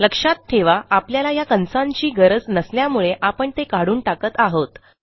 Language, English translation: Marathi, Remember I dont need these brackets so Im going to take them out